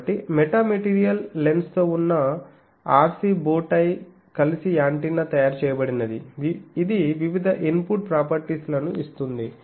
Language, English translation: Telugu, So, RC bowtie with metamaterial lens this together makes an antenna it gives various input properties